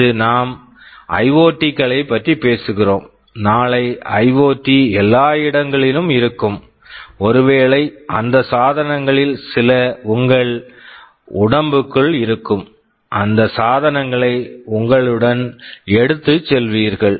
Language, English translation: Tamil, Today we are talking about IoTs, tomorrow IoT will be everywhere, maybe some of those devices will be inside your body, you will be carrying those devices along with you